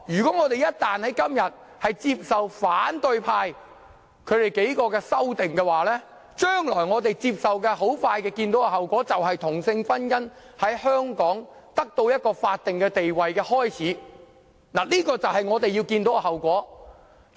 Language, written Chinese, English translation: Cantonese, 今天一旦接受反對派數名議員提出的修正案，我們即將看到這是同性婚姻得到法定地位之始，這就是我們將會看到的後果。, Hence we must discuss it thoroughly . Once we accept the amendments proposed by the several Members from the opposition camp today we can expect to see the first stone laid for conferring a statutory status on same - sex marriage . This is the outcome that we can expect to see